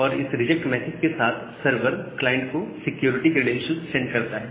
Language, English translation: Hindi, And with this reject message the server sends the security credential to the client